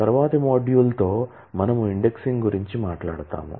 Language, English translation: Telugu, with a later module we will talk about indexing